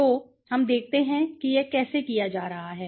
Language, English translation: Hindi, So, let us see how it is being done, okay